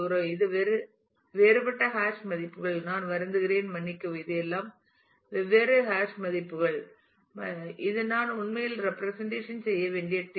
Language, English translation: Tamil, So, this is this is all the different hash values that you can see I am sorry this is all the different hash values and this is the table that I need to actually represent